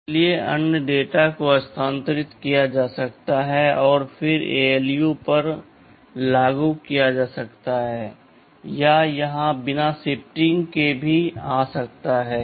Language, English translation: Hindi, So, if the other data can be shifted and then appliedy to ALU or it can even come without that, so with no shifting